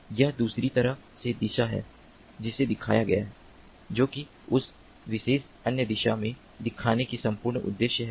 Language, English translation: Hindi, that is the whole purpose of showing it in that particular other direction